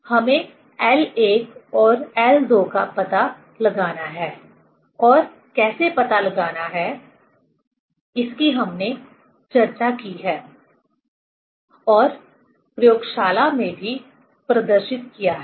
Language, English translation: Hindi, One has to find out l 1 and l 2 and how to find out that we have discussed and also demonstrated in the laboratory